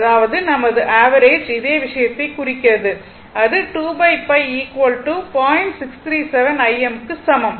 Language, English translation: Tamil, So, this is your average value this is your average value